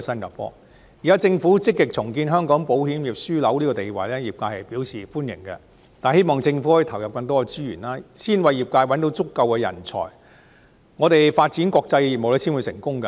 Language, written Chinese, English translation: Cantonese, 業界樂見政府積極重建香港保險業樞紐的地位，但希望政府可以投入更多資源，先為業界找到足夠的人才，我們發展國際業務才會成功。, The sector is pleased to see that the Government is making active efforts to regain Hong Kongs status as an insurance hub but we hope that the Government can commit more resources in this respect . Sufficient talents must be identified for the sector before we can succeed in developing international business